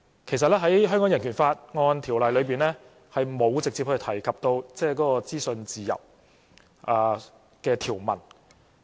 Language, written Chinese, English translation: Cantonese, 其實，在《香港人權法案條例》裏，並沒有直接提及資訊自由的條文。, In fact the Hong Kong Bill of Rights Ordinance does not have an article directly mentioning freedom of information